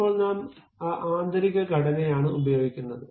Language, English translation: Malayalam, Now, we are using that internal structure